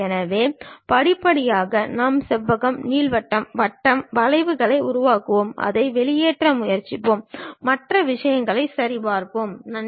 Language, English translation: Tamil, So, step by step we will construct rectangle, ellipse, circle, curves, and try to extrude it and so on other things we will see, ok